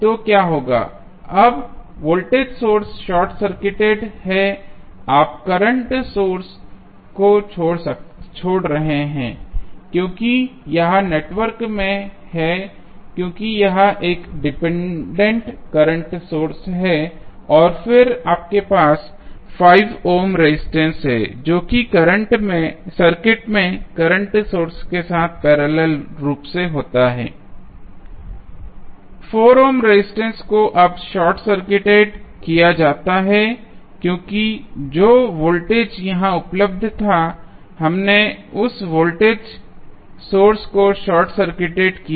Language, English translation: Hindi, So, what will happen now the voltage source is short circuited, you are leaving current source as it is in the network, because it is a dependent current source and then you have 5 ohm resisters which is there in the circuit in parallel with dependent current source